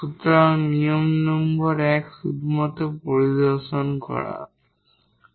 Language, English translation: Bengali, So, the rule number 1 is just by inspection